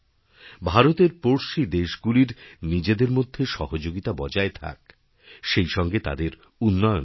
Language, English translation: Bengali, May our neighbouring countries be with us in our journey, may they develop equally